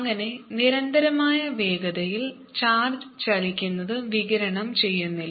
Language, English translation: Malayalam, thus, charged moving with constant speed does not reradiate